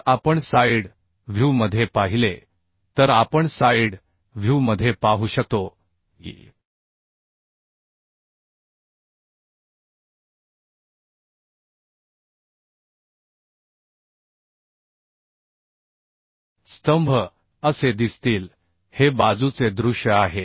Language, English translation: Marathi, So and if we see the side view we can see in the side view the columns will look like this this is a side view